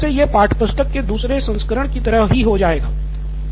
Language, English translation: Hindi, It also becomes like a second version of the textbook